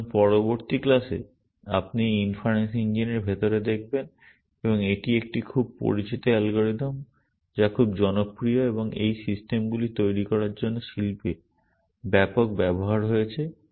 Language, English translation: Bengali, So, in the next class you will look inside this inference engine and it is a very well known algorithm which is very popular and has extensive use in the industry for developing these systems